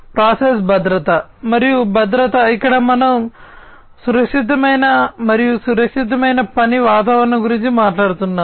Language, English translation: Telugu, Process safety and security, here we are talking about safe and secure working environment